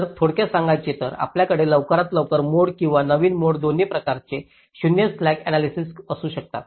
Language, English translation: Marathi, ok, so to summarize: ah, we can have early mode or latest mode, both kind of zero slack analysis